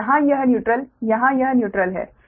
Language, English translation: Hindi, so here it neutral, here it is neutral, right